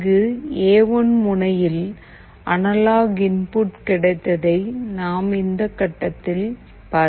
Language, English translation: Tamil, You see that from this point, we have got the analog input into this A1 pin